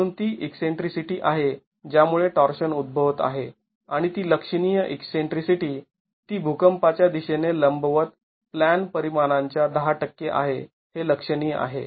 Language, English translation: Marathi, 8 meters so that's the eccentricity which is causing torsion and that's significant eccentricity it's 10% of the plan dimension perpendicular to the direction of the earthquake which is significant